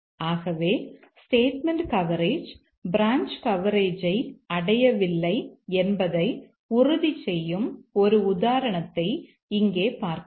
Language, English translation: Tamil, So, let me just give one example here that will ensure that statement coverage does not achieve branch coverage